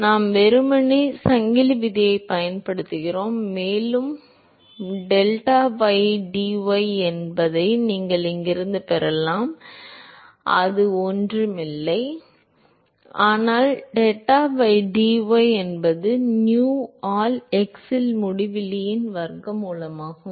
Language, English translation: Tamil, So, I will have done is I am simply using the chain rule, and deta by dy you can get from here that is nothing, but deta by dy that is square root of uinfinity by nu into x